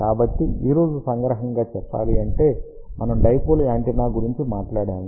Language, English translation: Telugu, So, just to summarize today we talked about dipole antenna